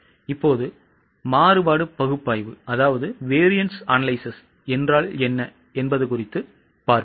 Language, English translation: Tamil, Now let us look into what is variance analysis